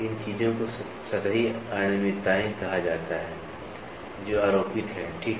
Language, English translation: Hindi, These things are called as surface irregularities, these surface irregularities are superimposed, ok